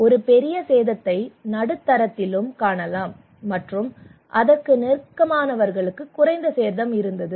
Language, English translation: Tamil, A major damage you can see also in the middle and people who are close to and they have less damage